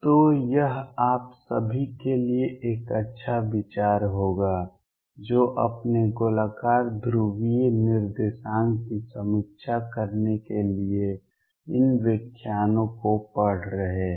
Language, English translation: Hindi, So, it will be a good idea for all of you who are going through these lectures to review your spherical polar coordinates